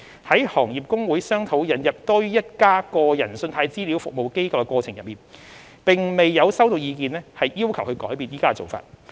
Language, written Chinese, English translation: Cantonese, 在行業公會商討引入多於一家個人信貸資料服務機構的過程中，並未有收到意見要求改變現時的做法。, The Industry Associations have not received any views requesting changes to the current practice during discussion of the proposal to introduce multiple CRAs